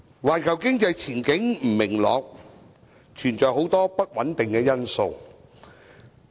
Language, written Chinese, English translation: Cantonese, 環球經濟前景不明朗，存在很多不穩定因素。, The prospect of the global economy is unclear with lots of uncertainties